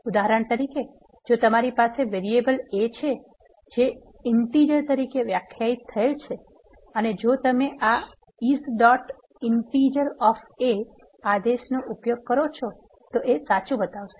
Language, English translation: Gujarati, For example, if you have variable a, which is defined as an integer and if you use this command is dot integer of a, it will show true originally